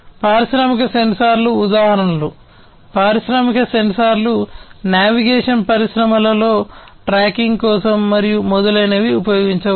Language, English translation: Telugu, So, examples of industrial sensors, industrial sensors can be used in the navigation industry, for tracking and so on